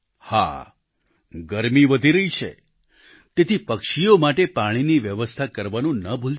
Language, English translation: Gujarati, Summer is on the rise, so do not forget to facilitate water for the birds